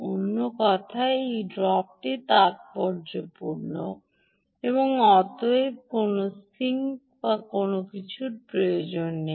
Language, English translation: Bengali, in other words, this drop is insignificant and therefore no heat sink or anything would actually be required